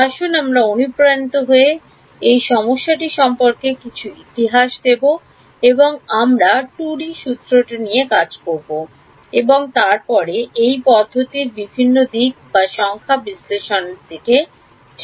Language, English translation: Bengali, Let us get motivated and give some history about this problem and we will deal with the 2D formulation and then look at various aspects/numerical analysis of this method ok